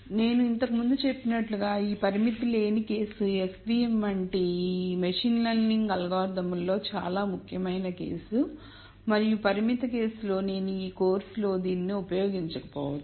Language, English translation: Telugu, As I mentioned before while this unconstrained case is a very very important case in machine learning algorithms such as s v m and so on the constrained case I mean we might not be using this quite a bit in this course